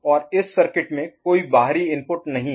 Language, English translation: Hindi, And there is an external input